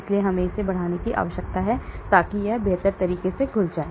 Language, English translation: Hindi, So we may need to increase that, so that it dissolves better